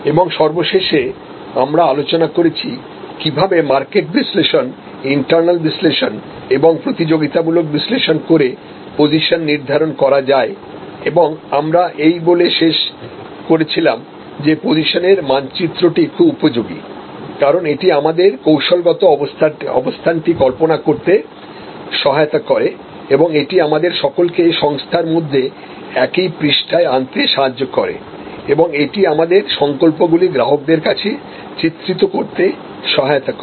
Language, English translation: Bengali, And lastly we discussed, how to do the positioning by doing market analysis internal analysis and competitive analysis and we concluded by saying, that positioning map is very good, because it helps us to visualise our strategic position and it helps us to bring everybody on the same page within the organization and it helps us portray to the customer, what we stand for